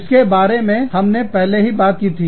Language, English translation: Hindi, I have already talked about this